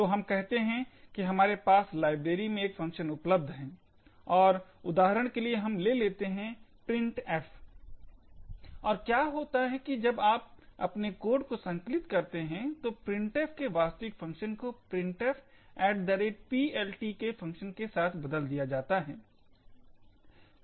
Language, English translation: Hindi, So, let us say we have a function present in a library and let us take for example say printf, and, what happens is that, when you compile your code, so the actual call to printf is replaced with a call to a function call printf at PLT